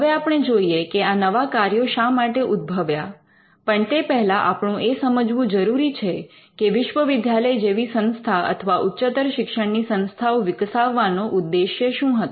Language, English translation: Gujarati, Now, we will look at why these new functions have come, but first we need to understand what’s the purpose of a university was or why did we have higher learning institutions in the first place